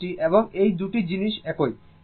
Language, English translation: Bengali, This thing and this 2 things are same